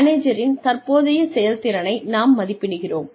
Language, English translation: Tamil, We appraise the manager's current performance